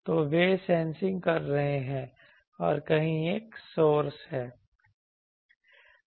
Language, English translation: Hindi, So, they are sensing there is a source somewhere